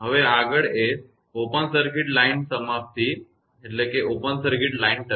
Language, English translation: Gujarati, So next is that open circuit line termination